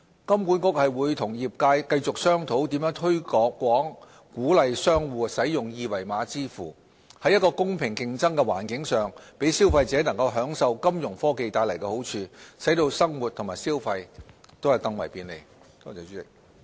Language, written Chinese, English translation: Cantonese, 金管局會與業界繼續商討如何推廣鼓勵商戶使用二維碼支付，在一個公平競爭的環境上，讓消費者能享受金融科技帶來的好處，使生活和消費更為便利。, HKMA will continue to work with the industry to promote a wider adoption of QR code payment on a level playing ground so as to let consumers enjoy the benefits and convenience brought about by financial technologies Fintech